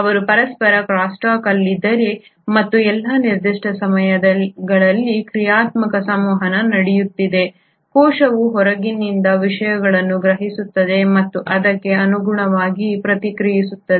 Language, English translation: Kannada, Not only are they in crosstalk with each other and there is a dynamic interaction happening at all given points of time, the cell is also sensing things from outside and accordingly responding